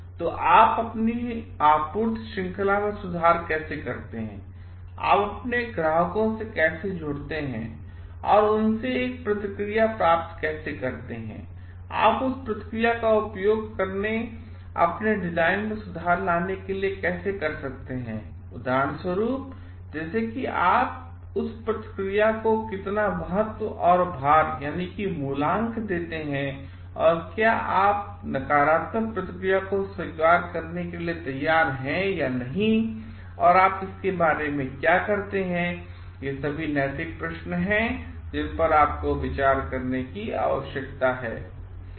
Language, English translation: Hindi, So, how you improve your supply chain, how you connect to your customers and get a feedback from them, how you incorporate that feedback and improve on your design like how much importance and weightage do you give to that feedback and do are you open to like if a negative feedback or not and what you do about it these are also ethical questions that you need to ponder upon